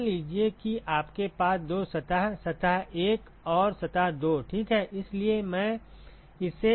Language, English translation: Hindi, So, supposing you have two surfaces surface 1 and surface 2 ok